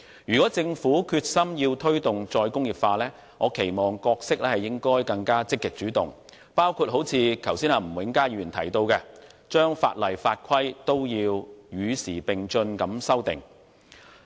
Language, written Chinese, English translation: Cantonese, 如果政府決心推動"再工業化"，我期望其角色應更積極主動，包括如吳永嘉議員剛才所提到，將法例和法規與時並進地修訂。, If the Government is determined to promote re - industrialization I would expect it to assume a more proactive role in as Mr Jimmy NG mentioned just now amending the relevant legislation and rules to keep abreast of the times